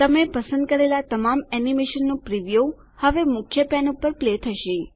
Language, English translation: Gujarati, The preview of all the animation you selected will now play on the Main pane